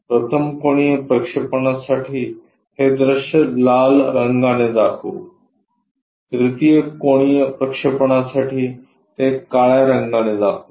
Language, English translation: Marathi, For 1st angle projection, the view let us show it by red color; for 3rd angle projection, let us show it by black color